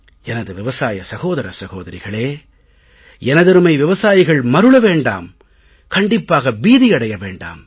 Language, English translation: Tamil, My dear farmers, you should not be misled and definitely never be scared